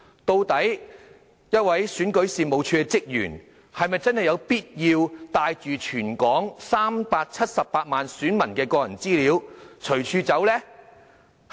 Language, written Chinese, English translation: Cantonese, 究竟一名選舉事務處職員是否真的有必要帶着全港378萬選民的個人資料隨處走呢？, Was it really necessary for a REO staff to bring along the personal data all 3.78 million electors in Hong Kong?